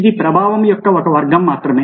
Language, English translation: Telugu, this is just one category of influence